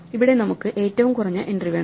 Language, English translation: Malayalam, Here, we want the minimum entry